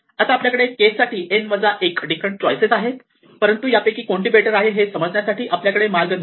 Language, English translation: Marathi, Now here we have n minus 1 different choices of k, we have no way of knowing which of this case is better